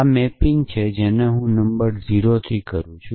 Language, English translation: Gujarati, So, this is the mapping I maps to 0, the number 0